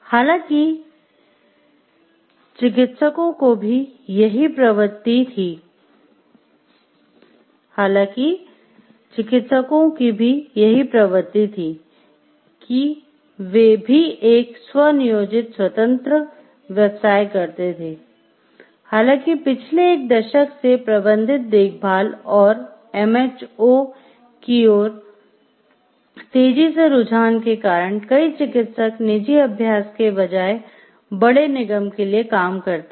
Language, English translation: Hindi, So, until recently then this was also the trend for physicians, although with the accelerating trend towards managed care and HMOs in the past decade, many more physicians work for large corporation rather than in private practice